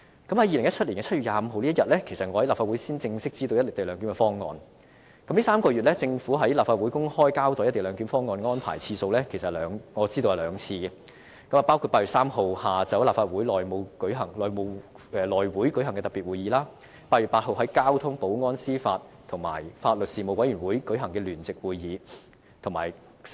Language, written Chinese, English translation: Cantonese, 2017年7月25日當日，其實我在立法會才正式知道"一地兩檢"的方案，這3個月來，政府在立法會公開交代"一地兩檢"方案安排的次數，我知道有兩次，包括8月3日下午在立法會內務委員會舉行的特別會議和在8月8日由交通、保安、司法及法律事務委員會舉行的聯席會議。, I actually only learned the co - location arrangement on 25 July 2017 formally in the Legislative Council . During these three months I know that the Government has come to the Legislative Council twice to openly give an account of the co - location arrangement one in the afternoon of 3 August at the special House Committee meeting and the other one on 8 August at the joint panel meeting of the Panel on Transport the Panel on Security and the Panel on Administration of Justice and Legal Services